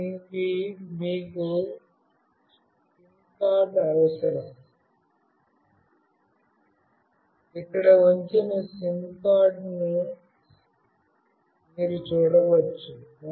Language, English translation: Telugu, You need a SIM card for it, you can see the SIM card that is put in here